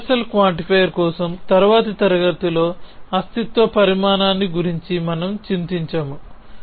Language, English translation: Telugu, We are not worry about the existential quantify in the next class for a universal quantifier